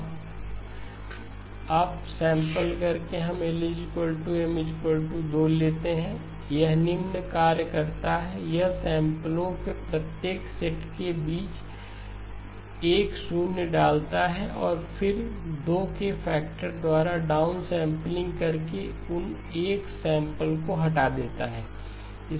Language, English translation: Hindi, Now up sampling by let us take L equal to M equal to 2, it does the following, it inserts 2 zeros between every set of samples and then down sampling by a factor of 2, removes those 2 samples